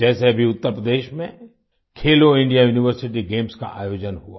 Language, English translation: Hindi, For example, Khelo India University Games were organized in Uttar Pradesh recently